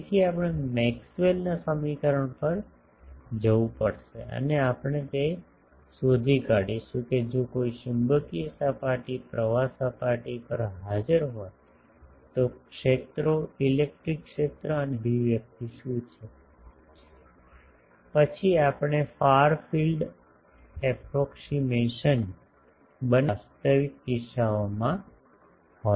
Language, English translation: Gujarati, So, we will have to go to the Maxwell’s equation and first we will derive that if an magnetic surface current is present on a surface, how the fields, what is the expression of the electric field, and magnetic field then we will make the far field approximation go to the actual cases ok